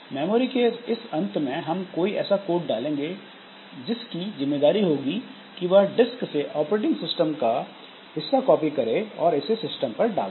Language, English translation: Hindi, So, in this part of the memory, so we put some code whose responsibility is that from the disk, so if this is the disk, so it will copy the operating system part from here and put it onto the system